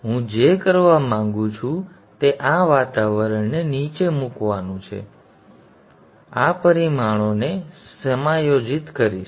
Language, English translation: Gujarati, Now what I would like to do is with from this environment I will go and adjust these parameters